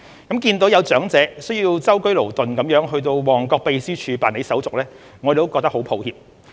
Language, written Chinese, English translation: Cantonese, 看到有長者需舟車勞頓到旺角秘書處辦理手續，我們感到很抱歉。, We felt very regretful to see some elderly people travel a long way to the Secretariat in Mong Kok to make resubmissions